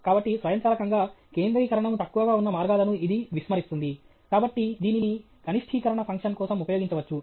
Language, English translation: Telugu, So, automatically, it ignores paths where the concentration is low; therefore, this can be used for a minimization function